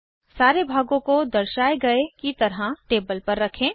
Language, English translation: Hindi, Place all the components on the table, as shown